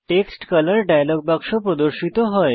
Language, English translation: Bengali, The Text Color dialog box appears